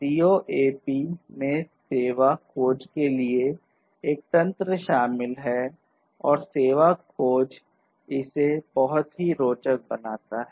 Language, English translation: Hindi, So, CoAP includes a mechanism for service discovery and it is this service discovery that makes it very interesting